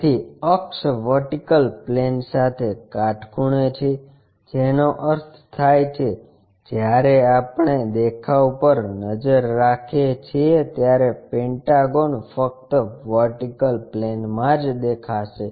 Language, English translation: Gujarati, So, axis is perpendicular to vertical plane that means, when we are looking the view the pentagon will be visible only on the vertical plane